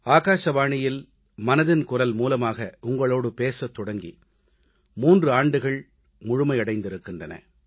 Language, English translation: Tamil, It is now a full three years since I started speaking to you over "Mann Ki Baat"